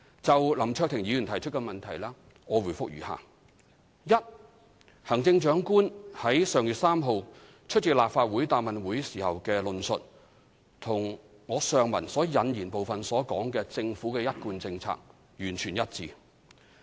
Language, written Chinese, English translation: Cantonese, 就林卓廷議員提出的質詢，我答覆如下：一行政長官在上月3日出席立法會答問會時的論述與上文引言部分所述的政府一貫政策完全一致。, My reply to Mr LAM Cheuk - tings question is as follows 1 In the Question and Answer Session of this Council on 3 May the Chief Executives statement is fully in line with the Governments established policy stated in the preamble above